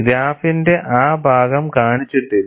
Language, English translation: Malayalam, That portion of the graph is not shown